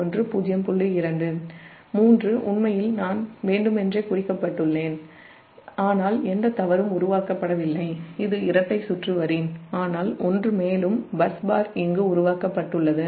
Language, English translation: Tamil, actually i have marked intentionally, but no fault, nothing is created, it's a double circuit line, but one more bus bar is created here